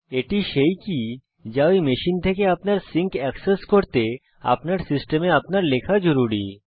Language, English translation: Bengali, This is the key which you must enter in our system to access your sync from those machines Click the save button